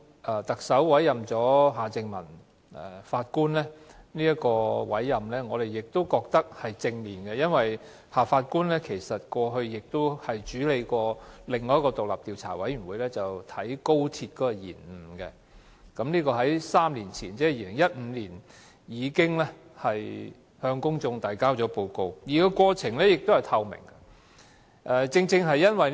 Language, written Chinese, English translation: Cantonese, 對於特首委任前法官夏正民，我們認為是正面的，因為他過去亦曾負責另一個獨立專家小組，調查高鐵的延誤問題，並已在3年前向公眾提交報告，而且過程相當透明。, The appointment of former Judge Mr Michael John HARTMANN by the Chief Executive is in our opinion a positive decision as he had chaired the Independent Expert Panel to inquire into the delays of the Express Rail Link XRL in the past . The relevant report was publicly released three years ago and the entire process was pretty transparent